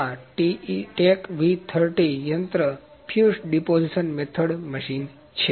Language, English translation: Gujarati, So, this is TECHB V30 machine fused deposition method machine